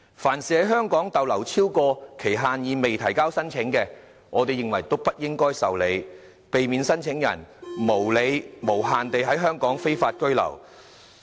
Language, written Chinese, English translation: Cantonese, 凡是在港逗留超過期限而未提交申請的，都不應該受理，避免聲請人無理並無限期地在香港非法居留。, ImmD should not entertain claims by overstayers and this can prevent some claimants from staying in Hong Kong illegally unjustifiably and infinitely